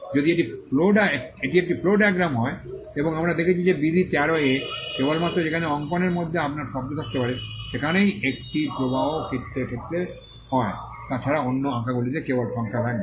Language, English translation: Bengali, If it is a flow diagram and we saw that in rule 13, the only place where you can have words within a drawing is in the case of a flow diagram; other than that, the drawings will only bear numbers